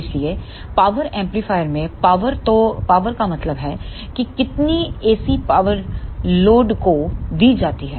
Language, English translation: Hindi, So, in power amplifier the power means that how much AC power is delivered to the load